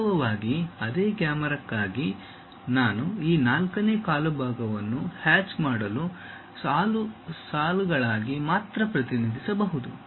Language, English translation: Kannada, In fact, for the same camera I can only represent this one fourth quarter of that as hatched lines